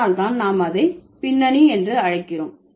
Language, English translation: Tamil, So, that is why we call it back formation